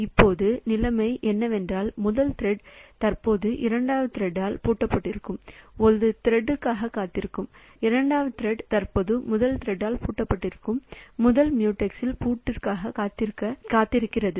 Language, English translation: Tamil, So, now the situation is that the first thread it is waiting for a thread which is currently locked by the second thread and the second thread is currently waiting to put a waiting for a lock on the first mute x which is currently locked by the first thread